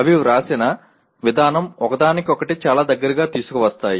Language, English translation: Telugu, The way they are written they are brought very close to each other